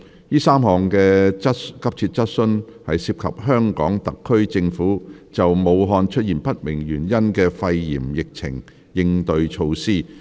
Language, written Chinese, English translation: Cantonese, 該3項急切質詢均涉及香港特區政府就武漢出現不明原因的肺炎疫情的應對措施。, The three urgent questions all concern the HKSAR Governments measures in response to the occurrence of pneumonia cases with unknown cause in Wuhan